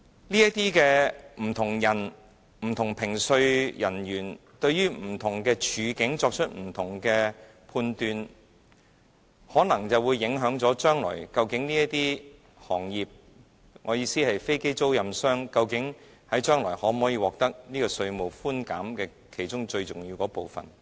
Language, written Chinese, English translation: Cantonese, 這些不同人、不同評稅人員對於不同處境作出不同的判斷，可能會影響這些行業，即飛機租賃管理商將來究竟能否獲得稅務寬減的其中最重要的部分。, Since many different tax assessors will assess a variety of scenarios differently the most important concern of the industries ie . whether aircraft leasing managers can be granted tax concession in the future may come under impact